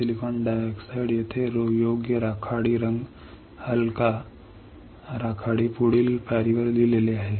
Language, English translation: Marathi, Silicon dioxide is written here right grey colour light grey next step